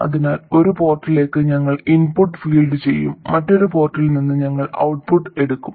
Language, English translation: Malayalam, So, to one of the ports we will feed the input and from another port we take the output